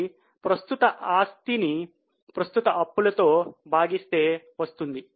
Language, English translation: Telugu, It is current asset divided by current liabilities